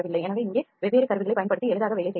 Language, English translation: Tamil, , so that can be worked easily using different tools here